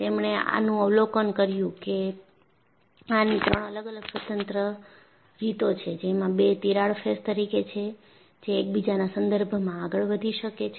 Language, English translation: Gujarati, And, he observed that there are three independent ways, in which the two crack surfaces can move with respect to each other